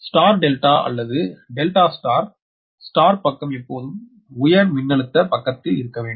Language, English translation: Tamil, so that means star delta or delta star star side should be always on the high voltage side